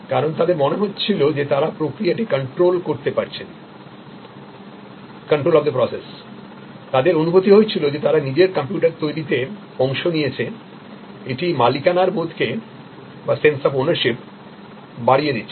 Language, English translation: Bengali, Because, they felt in control of the process, the felt that they have participated in creating their own computer, it enhanced the sense of ownership